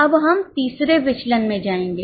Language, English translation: Hindi, Now we will go to the third variance